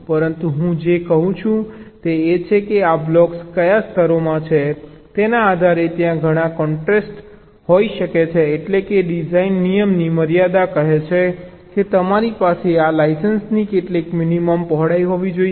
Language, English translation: Gujarati, but what i am saying is that, depending on the layers in which this blocks are, there can be several constraints, like, of course, design rule constraint says that you have to have some minimum width of this lines